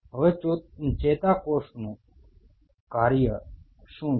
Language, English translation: Gujarati, Now what is the function of a neuron